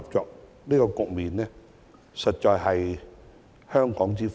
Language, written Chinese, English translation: Cantonese, 這種良性局面實在是香港之福。, Such a favourable situation is indeed a blessing to Hong Kong